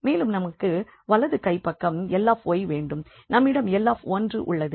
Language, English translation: Tamil, Then we have L y and the right hand side we have L 1